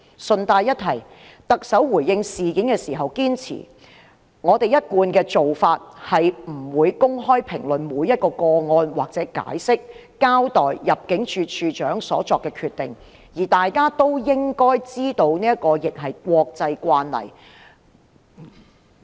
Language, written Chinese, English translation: Cantonese, 順帶一提，特首回應事件時堅稱："我們一貫的做法是不會公開評論每一宗個案或解釋、交代入境事務處處長所作的決定，而大家都應該知道這亦是國際慣例。, I would like to mention in passing the Chief Executives response to this incident . She said It is our established practice not to openly comment on or explain each case or give an account of the decision made by the Director of Immigration . Everyone should know that it is also an international practice